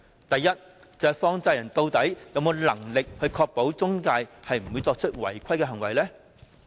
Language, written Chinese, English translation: Cantonese, 第一，放債人究竟有否能力確保中介公司不會作出違規的行為呢？, First do money lenders have the ability to ensure that the intermediaries do not act against the rules?